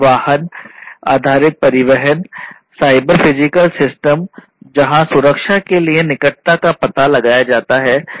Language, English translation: Hindi, Vehicle based transportation cyber physical systems where proximity detection for safety you know